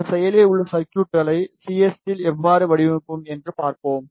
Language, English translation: Tamil, And we will see how we will design these active circuits in CST